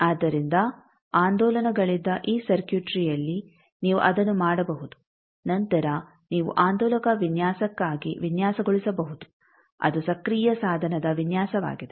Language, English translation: Kannada, So, all this circuitry where there were oscillations possible you can do that then you can design for oscillator design also which is the design of an active device